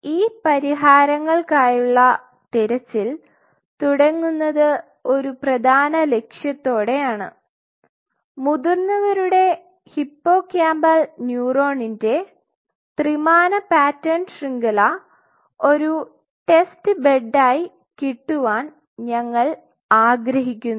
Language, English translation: Malayalam, So, the futuristic search for solution starts with the core goal is we wish to have a 3 dimensional pattern network of adult hippocampal neuron as a test bed